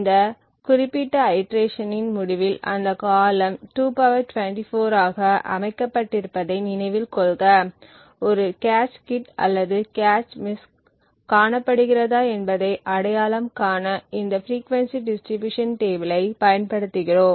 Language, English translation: Tamil, So, at the end of this particular iteration that is the time period and recollect that the time period is set to 2 ^ 24, we use these frequency distribution tables to identify whether a cache hit or cache miss is observed